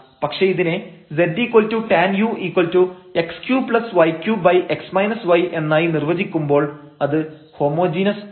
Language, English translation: Malayalam, So, given that z is equal to f x y is a homogeneous function